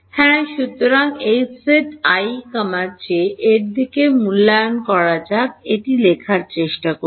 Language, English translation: Bengali, So, H of z evaluated at in terms of i and j let us try to write it down